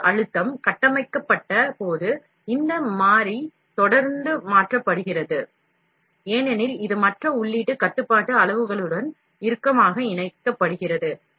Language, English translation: Tamil, Input pressure, this variable is changed regularly during a built, as it is tightly coupled with the other input control parameters